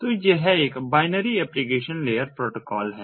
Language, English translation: Hindi, so it is a binary application layer protocol